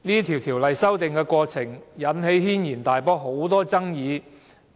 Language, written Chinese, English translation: Cantonese, 《條例》修訂過程引起軒然大波，爭議甚多。, The amendment process of the Bill caused an uproar and huge controversies